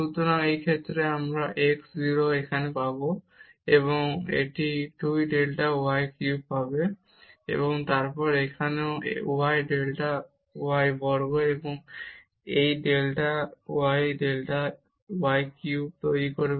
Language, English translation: Bengali, So, in this case we will get this x 0 here 0, and it will get 2 delta y cube and then here also y delta y square and this delta y will make delta y cube